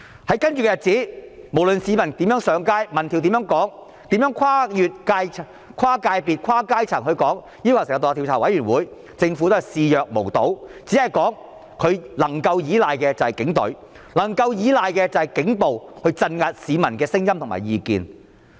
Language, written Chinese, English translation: Cantonese, 在接着的日子，無論市民如何上街，民調怎樣說，跨界別、跨階層的人士如何要求成立獨立調查委員會，政府也視若無睹，只表示政府能夠依賴的便是警隊，能夠依賴的便是警暴，鎮壓市民的聲音和意見。, Subsequently no matter how people took to the streets what public opinion polls indicated or how people from various sectors or social strata demanded the establishment of an independent commission of inquiry the Government remained nonchalant saying that the Government could only rely upon the Police Force . It can only rely upon police brutality to suppress the voices or views of the public . To put the blame on others is exactly the nature or characteristic of the Carrie LAM Government